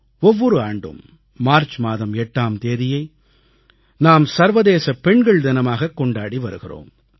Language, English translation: Tamil, Every year on March 8, 'International Women's Day' is celebrated